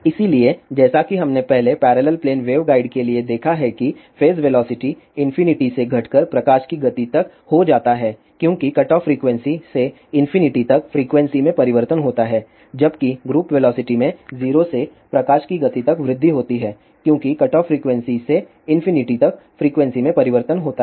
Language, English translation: Hindi, So, as we have seen earlier for parallel plane waveguide that phase velocity decreases from infinity to speed of light as frequency changes from cutoff frequency to infinity, whereas, group velocity increases from 0 to speed of light as frequency changes from cutoff frequency to infinity, but the product of these 2 is always a constant which is equal to v square or c square for air filled waveguide this is all about the phase velocity and group velocity